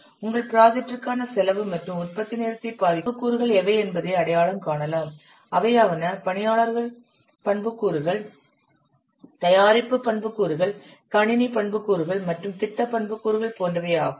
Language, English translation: Tamil, Then identify what are the attributes they are affecting the cost and development time for your project, such as personal attributes, product attributes, computer attributes, and project attributes